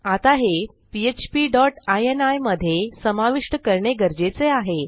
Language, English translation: Marathi, So I need to incorporate this into my php dot ini